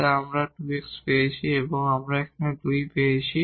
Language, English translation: Bengali, So, we have 1 there and then this is 0 and then here we have 2